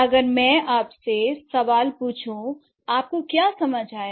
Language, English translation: Hindi, If I ask you the question, what have you understood